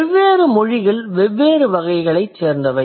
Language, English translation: Tamil, Different languages belong to different types